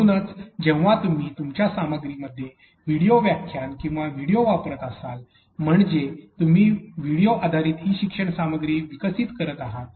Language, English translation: Marathi, So, in cases when you are using video lectures or videos in your content, so you are developing e learning content that is video based